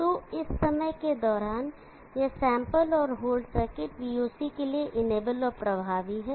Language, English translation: Hindi, So during this time, this sample and whole circuit for VOC is enable and effective